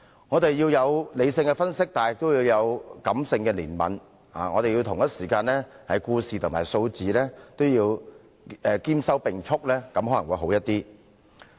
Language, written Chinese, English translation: Cantonese, 我們需要作理性分析，亦要有感性的憐憫，要對故事和數字兼收並蓄，這樣可能會較好。, We need to make rational analyses and also feel sympathetic for the people . It may be better if we can take in both stories and figures